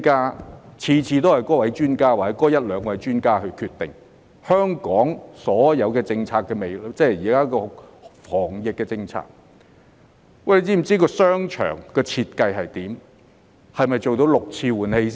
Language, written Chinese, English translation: Cantonese, 每次都是由那位專家或一兩位專家決定香港所有防疫政策，但他們是否知道商場的設計是怎樣？, All anti - epidemic policies in Hong Kong are invariably made by that expert or a couple of experts but do they understand the designs of the shopping malls?